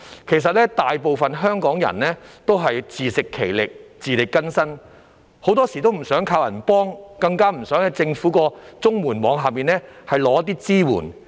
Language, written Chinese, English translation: Cantonese, 其實大部分香港人也是自食其力、自力更生，很多時都不想靠人幫，更不想在政府綜合社會保障援助網下領取支援。, In fact most Hong Kong people make a living on their own and are self - reliant . Very often they do not want to rely on others for help and they certainly do not want to receive assistance under the Governments Comprehensive Social Security Assistance CSSA net